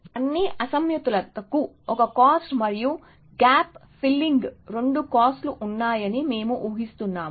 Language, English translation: Telugu, We are just assuming that all mismatches have 1 cost and gap filling has 2 costs